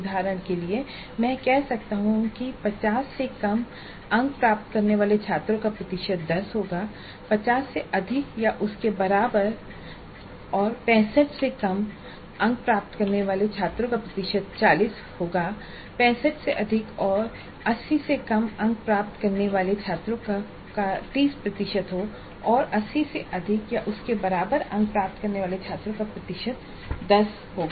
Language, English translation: Hindi, Percentage of students getting greater than 65 and less than 80 marks will be 30 percent and percentage of students getting greater than 80 marks will be 30 percent and percentage of students getting greater than 65 and less than 80 marks will be 30 percent and percentage of students getting more than 80 marks or more than equal to 80 marks will be 10 percent